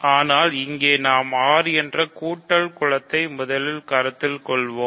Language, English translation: Tamil, But, here we do the same, we will first consider the additive group R